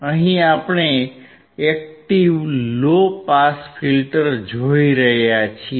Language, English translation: Gujarati, Here we see the active low pass filter